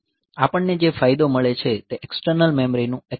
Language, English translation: Gujarati, The advantage we get is the accessing in the external memory